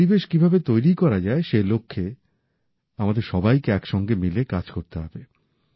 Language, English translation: Bengali, We should work together in that direction, in creating that atmosphere